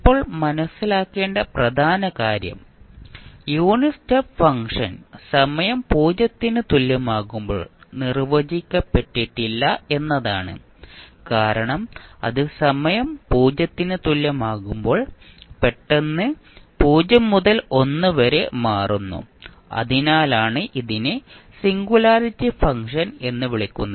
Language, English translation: Malayalam, Now, important thing to understand is that unit step function is undefined at time t is equal to 0 because it is changing abruptly from 0 to1 and that is why it is called as a singularity function